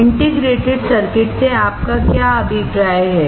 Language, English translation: Hindi, What do you mean by integrated circuit